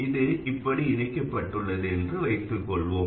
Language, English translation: Tamil, So let's say I connect it to this node